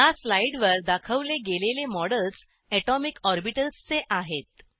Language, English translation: Marathi, Shown on this slide are models of atomic orbitals